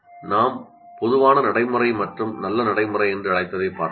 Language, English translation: Tamil, So we looked at two what we called as common practice and good practice